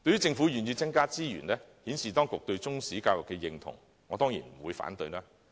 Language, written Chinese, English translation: Cantonese, 政府願意增加資源，顯示當局對中史教育的認同，我當然不會反對。, I will definitely not object to the Governments willingness to provide additional resources to demonstrate its approval of Chinese History education